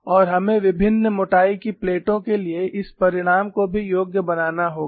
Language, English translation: Hindi, And we will also have to qualify this result for plates of various thicknesses